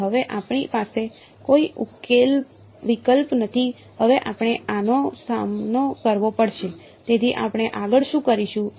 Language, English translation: Gujarati, So, now, we have no choice now we must face this right, so that is what we do next